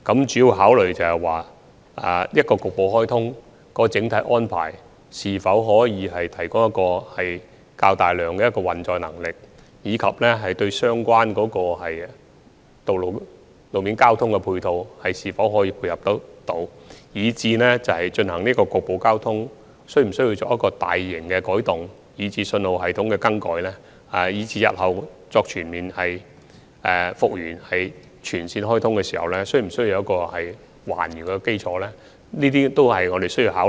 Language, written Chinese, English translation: Cantonese, 主要考慮的問題，是局部開通的整體安排可否提供較大的運載能力，而相關的路面交通配套又可否配合得到，以至進行局部開通是否需要作出大型的改動，包括更改信號系統，而且在日後全面通車時，所作的改動又是否需要還原等，這些問題都是要考慮的。, The main issues of our consideration are whether the overall arrangement of partial commissioning of SCL can enhance the carrying capacity whether the related road transport facilities can provide the necessary support as well as whether large - scale alterations including the alteration of the signalling system are warranted for partial commissioning of SCL and whether the alterations need to be restored after the full commissioning in future . All these issues need to be considered